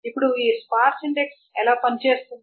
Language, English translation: Telugu, Now, how does this sparse index works